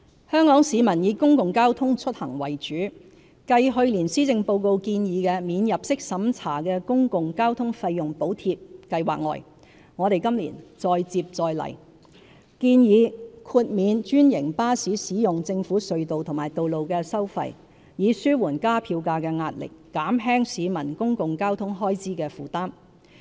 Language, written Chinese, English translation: Cantonese, 香港市民以公共交通出行為主，繼去年施政報告建議的"免入息審查的公共交通費用補貼計劃"外，我們今年再接再厲，建議豁免專營巴士使用政府隧道和道路的收費，以紓緩加票價的壓力，減輕市民公共交通開支的負擔。, Hong Kong people use mainly public transport for passenger trips . Further to the non - means - tested Public Transport Fare Subsidy Scheme proposed in last years Policy Address we propose this year waiving the tolls charged on franchised buses for using government tunnels and roads to ease fare increase pressure thereby alleviating the burden of public transport expenses on citizens